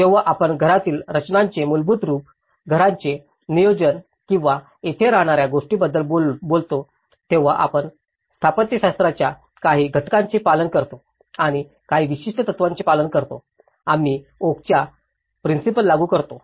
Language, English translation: Marathi, When we talk about very basic form of house compositions, planning of a house or a dwelling here, we follow certain elements of architecture and we follow certain principle; we apply the principles of okay